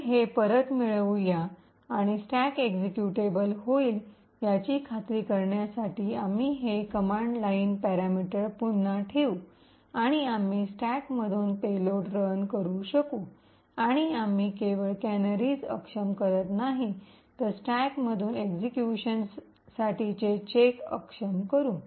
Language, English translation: Marathi, So let us get this back and we will put this command line parameter again to ensure that the stack becomes executable and we are able to run a payload from the stack and therefore we are essentially disabling not just the canaries but also disabling the check for execution from the stack